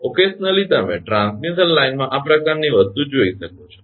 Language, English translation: Gujarati, Occasionally you can see this kind of thing in a transmission line